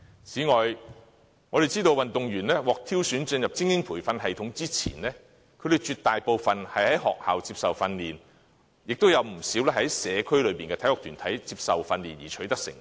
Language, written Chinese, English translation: Cantonese, 此外，我們知道運動員獲挑選進入精英培訓系統之前，絕大部分在學校接受訓練，亦有不少在社區內的體育團體接受訓練而取得成績。, Moreover we understand that before entering the elite training system the overwhelming majority of athletes received training from their schools and many owed their achievements to the training provided by sports groups in the community